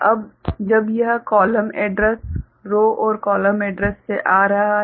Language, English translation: Hindi, Now, when this coming from the column address right, row and column address